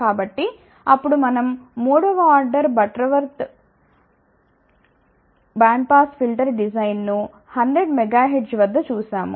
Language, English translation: Telugu, So, then we saw third order Butterworth band pass filter design at 100 megahertz